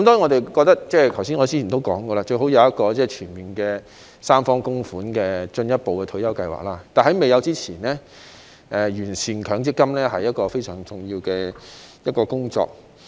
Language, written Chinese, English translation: Cantonese, 當然，正如我剛才所說，我們認為最好是設有一個全面由三方供款的進一步退休計劃，但在未有設立以前，完善強積金是一項非常重要的工作。, Of course as I said just now we consider it most desirable to further set up another retirement scheme with full tripartite contributions . Nevertheless before such a scheme is set up it is a very important task to improve MPF